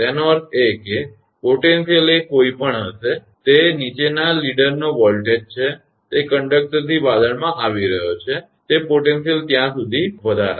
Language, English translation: Gujarati, That means, the potential will be whatever is the voltage of the downward leader that is that coming from the cloud through the conductor; it will raise to that potential